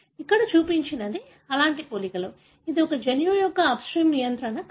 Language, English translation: Telugu, So, what is shown here is such kind of comparisons, is the upstream regulatory sequence of a gene